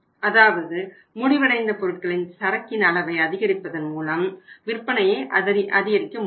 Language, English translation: Tamil, Because it is not possible that simply by increasing the level of finished goods inventory we can increase the sales